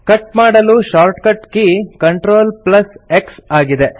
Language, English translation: Kannada, The shortcut key to cut is CTRL+X